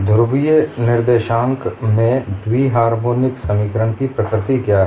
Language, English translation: Hindi, What is the nature of bi harmonic equation polar co ordinates